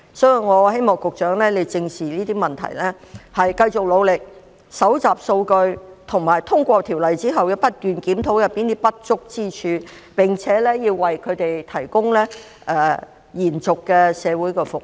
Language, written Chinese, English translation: Cantonese, 所以，我希望局長正視這些問題，繼續努力搜集數據，以及在通過《條例草案》之後，不斷檢討當中不足之處，並且要為"劏房"居民提供延續的社會服務。, Therefore I hope that the Secretary will address these problems squarely keep up his efforts in collecting data continue to review the inadequacies after the passage of the Bill and provide residents of SDUs with continuous social services